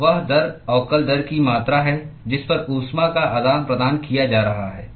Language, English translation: Hindi, So, that is the amount of rate differential rate at which heat is being exchanged